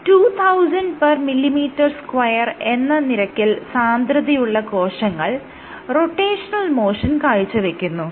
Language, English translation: Malayalam, So, the cells at densities of 2000 per millimeter square exhibit rotational motion